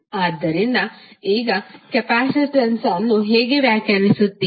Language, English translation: Kannada, So, how you will define capacitance now